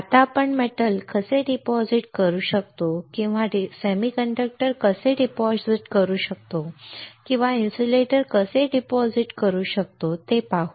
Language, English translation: Marathi, Now let us see how we can deposit metal or how we can deposit semiconductor or how we can deposit insulator alright